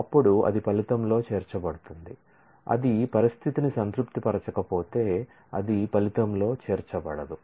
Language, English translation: Telugu, Then it will be included in the result, if it does not satisfy the condition, then it will not be included in the result